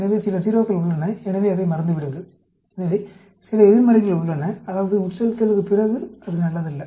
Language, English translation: Tamil, So, there are some 0s; so, forget about that; so, some negatives are there, that means, the after infusion, it is not good